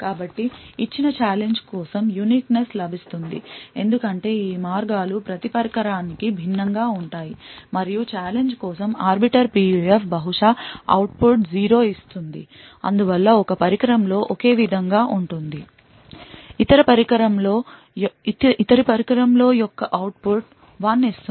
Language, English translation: Telugu, So the uniqueness is obtained because each of these paths for a given challenge would be different for each device and therefore on one device the same Arbiter PUF for the same challenge would perhaps give an output of 0, while on other device will give output of 1